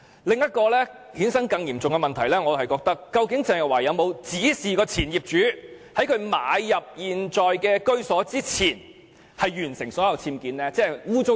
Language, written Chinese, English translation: Cantonese, 另一個更嚴重的問題是，鄭若驊曾否指示前業主在她買入現時的居所前完成所有僭建工程。, Another question which is more serious is whether Teresa CHENG had instructed the previous owner to complete all the UBWs before she bought her current residence